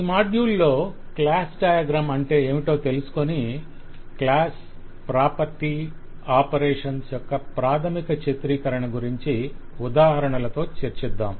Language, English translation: Telugu, In this module we just specify what is a class diagram and discuss the basic representation of class property and operations